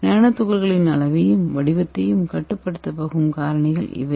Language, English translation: Tamil, And these are the factors which is going to control the size and the shape of the nano particle